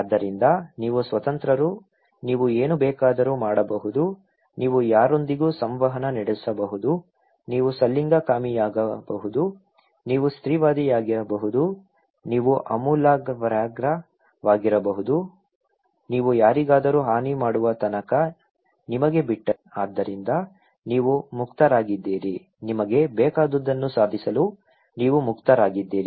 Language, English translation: Kannada, So, you are free, you can do anything you want, you can interact with anyone, you want you can be a homosexual, you can be a feminist, you can be a radical that is up to you unless and until you are harming anyone so, you were open; you were open to achieve anything you want